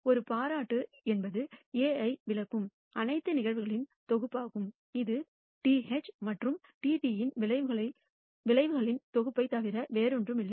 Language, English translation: Tamil, A compliment is the set of all events that exclude A which is nothing but the set of outcomes TH and TT is known as a complement